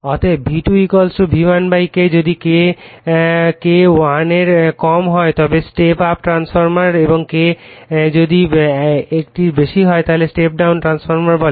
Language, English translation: Bengali, Therefore, V2 = V1 / K, if K less than 1 then this call step up transformer and if K your greater than one it is called step down transformer